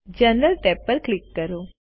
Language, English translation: Gujarati, Now, click the General tab